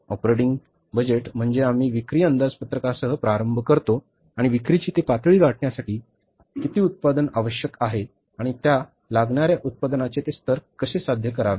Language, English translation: Marathi, And operating budget is we prepare the, we start with the sales budget and to achieve that level of sales, how much production is required and how to attain that given level of the production